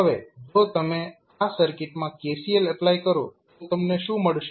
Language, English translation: Gujarati, Now, if you apply kcl in this circuit what you can do